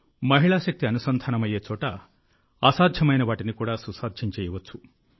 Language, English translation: Telugu, Where the might of women power is added, the impossible can also be made possible